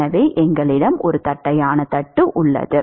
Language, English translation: Tamil, Suppose we take a flat plate